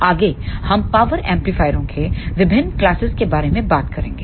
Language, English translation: Hindi, Next we will talk about the various classes of power amplifiers